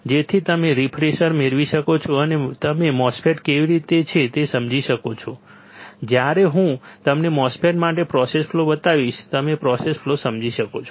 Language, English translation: Gujarati, So, that you can get a refresher and you will be able understand how the MOSFET is when I show you the process flow for MOSFET, you can understand the process flow